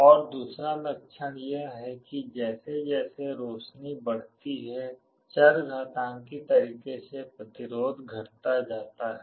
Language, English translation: Hindi, And the other property is that as the illumination increases the resistance decreases exponentially